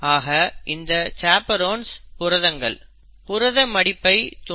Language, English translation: Tamil, So, chaperone proteins bring about what is called as protein folding